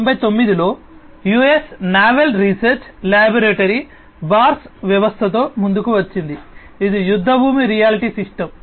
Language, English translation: Telugu, In 1999 the US Naval Research laboratory came up with the BARS system which is the battlefield augmented reality system